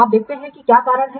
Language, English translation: Hindi, Let's see what is reasons